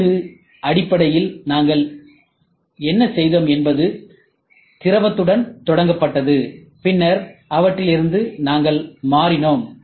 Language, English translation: Tamil, And wax basically what we did was we started with liquid, and then from their we shifted